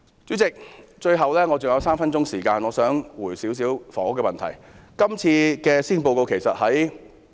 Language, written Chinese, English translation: Cantonese, 主席，我還有3分鐘時間發言，我想就房屋問題作一些回應。, President I still have three minutes speaking time . I will speak on the housing issue